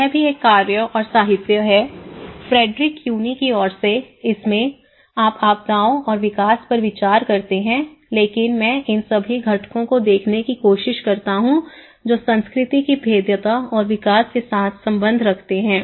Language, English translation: Hindi, There is also work, literature from Frederick Cuny onwards like you consider disasters and the development but I try to look all these components that relation with culture vulnerability and development